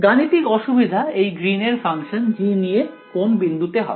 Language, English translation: Bengali, So, the mathematical difficulty with this Green’s function G is going to happen at which point